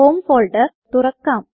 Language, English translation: Malayalam, Let us open the home folder